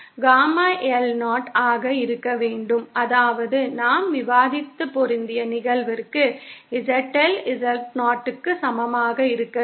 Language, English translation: Tamil, For Gamma L to be 0, that is for the matched case that we were discussing, ZL has to be equal to Z0